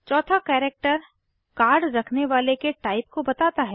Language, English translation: Hindi, The fourth character informs about the type of the holder of the Card